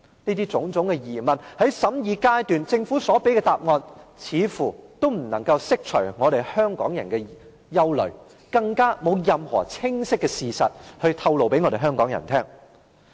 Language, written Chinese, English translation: Cantonese, 這種種疑問，在審議階段政府所給予的答案，似乎都不能釋除香港人的疑慮，更沒有任何清晰的事實向香港人透露。, Concerning these questions it seemed that the answers given by the Government during the scrutiny of the Bill could not dispel Hong Kong peoples doubts and worries and the Government did not disclose any clear facts